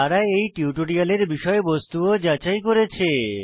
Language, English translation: Bengali, They have also validated the content for this spoken tutorial